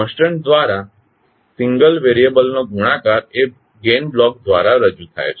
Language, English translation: Gujarati, The multiplication of a single variable by a constant is represented by the gain block